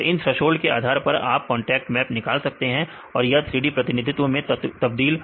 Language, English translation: Hindi, So, based on these thresholds you can derive these contact maps right then till then this is the 3D representation converted to